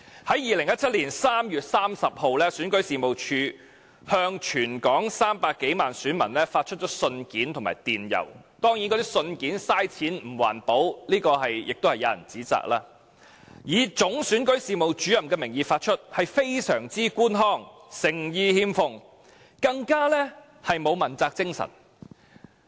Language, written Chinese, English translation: Cantonese, 在2017年3月30日，選舉事務處向全港300多萬選民發出信件和電郵——當然，亦有人指責那些信件是浪費金錢及不環保——以總選舉事務主任的名義發出，非常官腔，誠意欠奉，更沒有問責精神。, On 30 March 2017 REO issued letters and emails to over 3 million electors in the territory of course some people criticize that this is wasteful and environmentally - unfriendly . The letters are issued by the Chief Electoral Officer . The letter is extremely bureaucratic in tone showing no sincerity nor accountability spirit